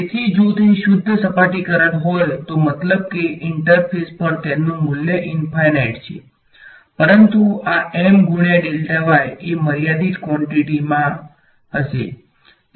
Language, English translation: Gujarati, So, if it is a pure surface current only then in the sense that at the interface itself its value is infinite right, but this M into delta y that will be a finite quantity ok